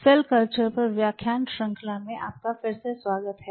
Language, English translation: Hindi, So, welcome back to the lecture series on Cell Culture